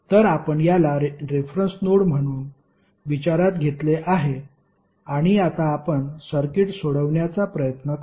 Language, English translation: Marathi, So, we have considered this as a reference node and now we will try to solve the circuit